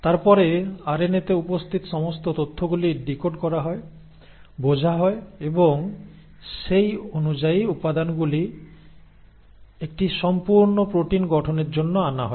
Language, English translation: Bengali, And then, all the information which is present in the RNA is then decoded, is understood and accordingly the ingredients are brought in for the formation of a complete protein